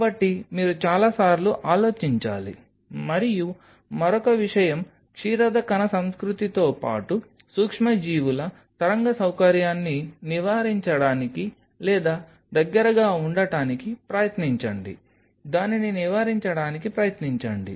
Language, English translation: Telugu, So, you have to think several times and another thing try to avoid or close proximity of a microbial wave facility along with the mammalian cell culture, try to avoid it